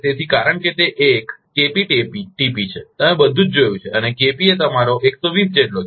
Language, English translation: Gujarati, So, because it is a KpTp, all you have seen and Kp will got that is your 120